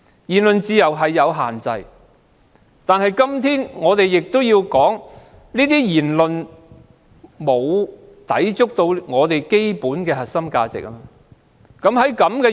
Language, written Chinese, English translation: Cantonese, 言論自由是有限制的，但有關言論沒有抵觸基本的核心價值。, Freedom of speech has restrictions but those remarks have not contradicted the basic core values